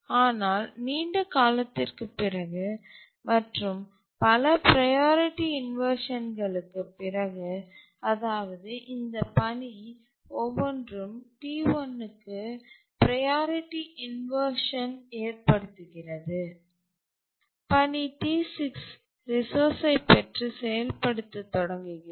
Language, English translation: Tamil, But after a long time, after many priority inversion, each of this task is causing a priority inversion to the task T1 and after many priority inversions, task T6 gets the resource, starts executing, and after some time religious the resource that is unlocks here